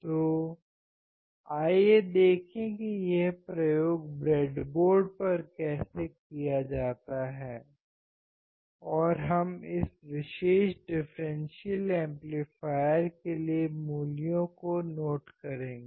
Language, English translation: Hindi, So, let us see how to do this experiment on the breadboard and we will note down the values for this particular differential amplifier